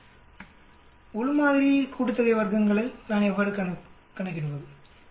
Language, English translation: Tamil, How do I calculate within sample sum of squares